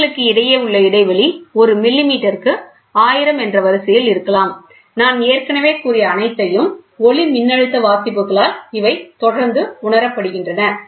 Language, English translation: Tamil, The line spacing maybe in the order of 1,000 per millimeter, they are invariably sensed by photoelectric readouts whatever I have already told